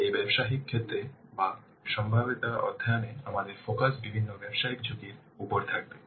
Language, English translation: Bengali, In this business case of the feasibility study, our focus will be on the different business risks